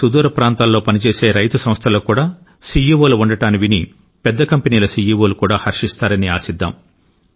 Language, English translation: Telugu, I hope this is heartwarming news for the CEOs of major companies that farmers from far flung areas of the country are now also becoming CEOs of farmer organizations